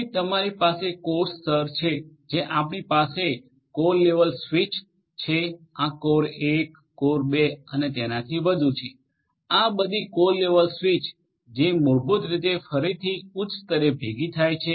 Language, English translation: Gujarati, Then you have the core layer you have the core layer where you have core level switches this is core 1, core 2 and so on, these are all core level switches which basically again aggregates at a higher level